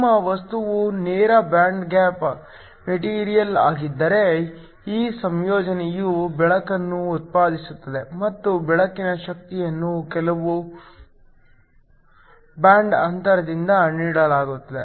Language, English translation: Kannada, If your material is a direct band gap material then this recombination will dominantly produce light and the energy of the light is just given by the band gap